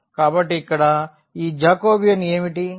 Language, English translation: Telugu, So, what is this Jacobian here